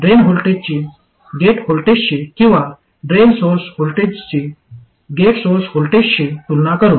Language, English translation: Marathi, By comparing the drain voltage to the gate voltage or drain source voltage to gate source voltage